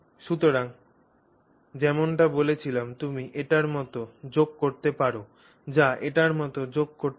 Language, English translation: Bengali, So, as I told you you can join it like this or you can join it like that